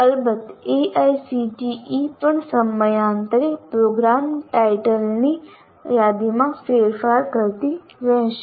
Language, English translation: Gujarati, Of course, AICT also from time to time will keep modifying the list of program titles